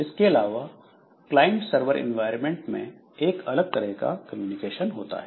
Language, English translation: Hindi, Then in case of client server environment, so there is another type of communication